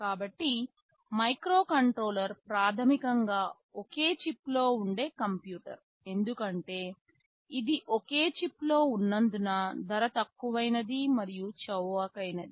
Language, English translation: Telugu, So, a microcontroller is basically a computer on a single chip, because it is on a single chip it is relatively very low cost and inexpensive